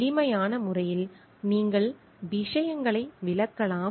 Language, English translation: Tamil, In a simple way you can explain things